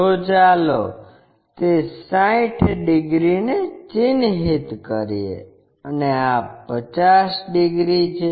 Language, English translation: Gujarati, So, let us mark that 60 degrees and this is 50 degrees